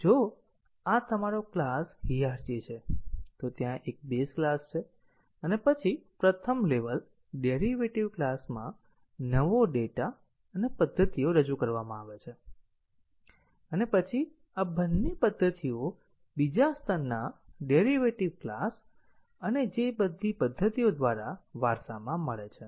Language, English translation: Gujarati, So, if this is your class hierarchy, there is a base class and then in the first level derived classes new data and methods are introduced and then both of these methods are inherited by the second level derived classes and all the methods that are inherited by these base level classes; leaf level classes all have to be retested